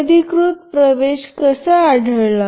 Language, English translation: Marathi, How is unauthorized access detected